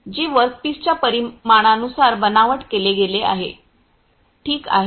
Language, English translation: Marathi, Which has been fabricated as per of the dimension of the workpiece Ok